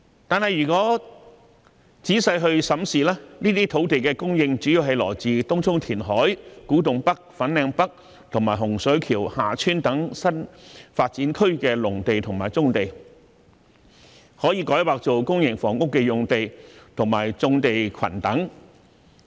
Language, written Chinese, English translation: Cantonese, 可是，如果仔細審視，這些土地的供應主要來自東涌填海、古洞北/粉嶺北及洪水橋/厦村等新發展區的農地和棕地，以及可以改劃作公營房屋的用地和棕地群等。, However by looking into the details we will find that the land supply mainly comes from reclamation in Tung Chung the agricultural land and brownfield sites in New Development Areas NDAs such as Kwu Tung NorthFanling North and Hung Shui KiuHa Tsuen as well as sites and brownfield clusters which can be rezoned for public housing development